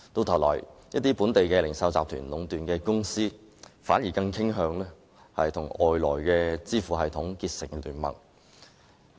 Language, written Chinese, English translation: Cantonese, 同時，一些本地零售集團壟斷的公司反而更傾向與外來的支付系統結盟。, Meanwhile some companies monopolized by local retail groups are more inclined to forming an alliance with external payment systems